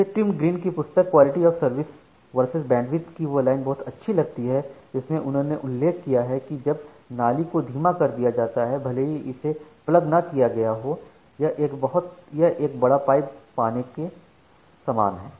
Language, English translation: Hindi, So, I actually liked very much this line by Tim Greene from a book called QoS versus more bandwidth, an article there he mentions that when drain chronically runs sxlow even though it is not plugged it is time to get a bigger pipe